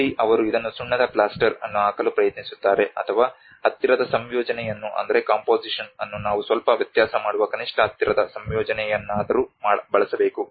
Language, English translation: Kannada, Where they try to put this either lime plaster or but the nearest composition we should take back at least the nearest composition that will make some difference